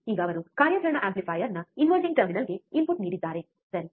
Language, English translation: Kannada, So now, he has given the input to the inverting terminal of the operational amplifier, right